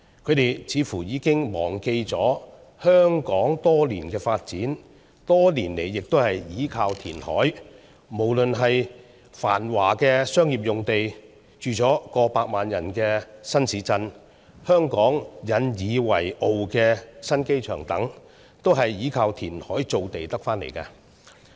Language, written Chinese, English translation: Cantonese, 他們似乎已經忘記了香港多年的發展，也是依靠填海。無論是繁華的商業用地、住上了過百萬人的新市鎮、香港引以為傲的新機場等，都是依靠填海造地得來的。, They seem to have forgotten that over many years Hong Kong has relied on reclamation for its development which is true of bustling commercial areas new towns housing over 1 million population and the new airport that Hong Kong is proud of among others